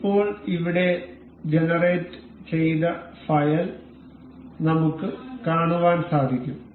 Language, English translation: Malayalam, Now, we can see the file that is developed here that is generated